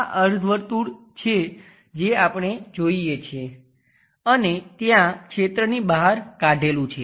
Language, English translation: Gujarati, This is the semicircle what we see and there is a scoop out region